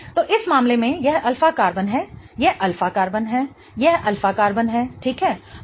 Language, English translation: Hindi, So, in this case, this is an alpha carbon, this is an alpha carbon, this is an alpha carbon, right